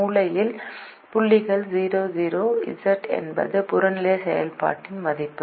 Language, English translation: Tamil, the corner point, zero comma zero, z is the value of the objective function